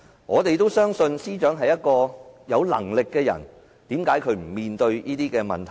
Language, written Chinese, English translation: Cantonese, 我們都相信司長是有能力的人，但為何她不肯面對這些問題？, We believe that the Secretary for Justice is competent but why does she not face up to these questions?